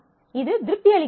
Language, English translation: Tamil, So, it also satisfies